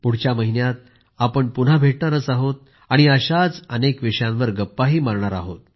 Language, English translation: Marathi, We'll meet again next month, and we'll once again discuss many such topics